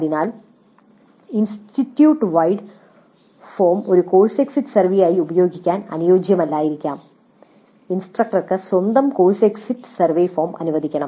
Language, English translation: Malayalam, So the institute wide form may not be suitable for use as a course exit survey and the instructor should be really allowed to have his own or her own course exit survey form